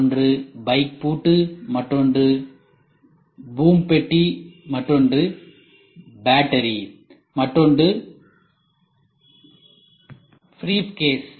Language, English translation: Tamil, One is bike lock, the other one is boom box, the other one is battery, the other one is briefcase